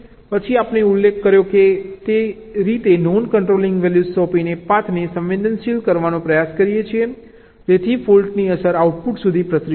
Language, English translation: Gujarati, then we try to sensitize the path by assigning non controlling values, just in the way we mentioned ok, so that the effect of the fault can propagate up to the output